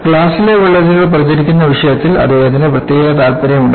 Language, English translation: Malayalam, He was particularly interested in propagation of cracks in glass